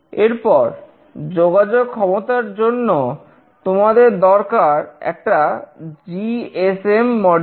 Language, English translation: Bengali, Then for the communication capability, you will need a GSM module